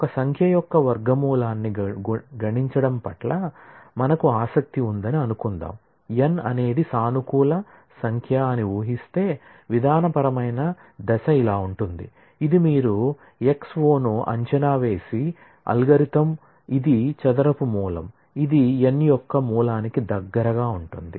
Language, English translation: Telugu, Suppose, we were interested in computing the square root of a number n assuming n is a positive number, the procedural step would be something like; this is an algorithm that you guess a X o, which is a square root, which is close to the root of n